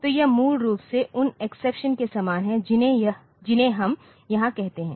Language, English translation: Hindi, So, this is basically same as those exceptions that we call here